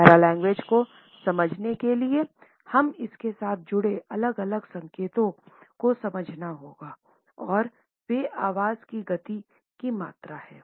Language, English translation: Hindi, In order to understand paralanguage we have to understand different signs associated with it and these are volume of voice speed of voice etcetera